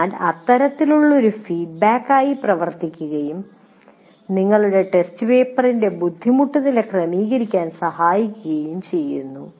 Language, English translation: Malayalam, So this kind of thing is also acts as a feedback to adjust the difficulty level of your test paper to the students that you have